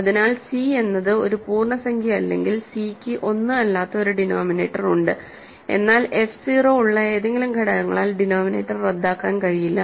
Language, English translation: Malayalam, So, if c is not an integer that means, c has a denominator which is not 1, but the denominator cannot be cancelled by any of the factors have f 0